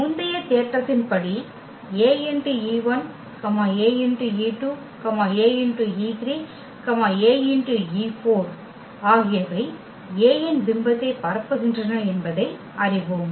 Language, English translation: Tamil, Then as per the previous theorem, we know that Ae 1, Ae 2, Ae 3, Ae 4 will span the image of A